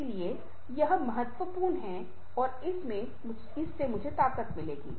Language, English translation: Hindi, so this is very, very important and that will give me strength